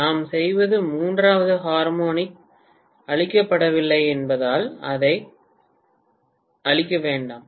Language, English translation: Tamil, All we are doing is not to kill the third harmonic, do not kill it